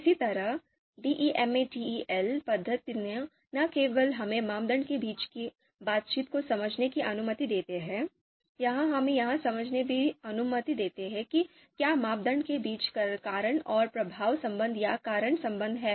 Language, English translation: Hindi, Similarly, you know DEMATEL method, so DEMATEL method not just allows us to understand the model the interaction between criteria, it also allows us to understand if there is cause and effect relationship, causal relationship between criteria